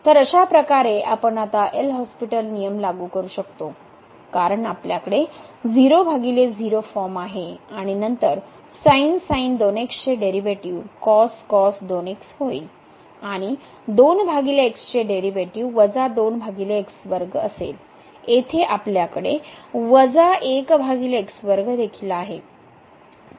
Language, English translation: Marathi, So, in this case we can now apply the L'Hhospital rule because we have the 0 by 0 form and then the derivative of the will be the and the derivative of 2 over will be minus over square and here also we have minus over square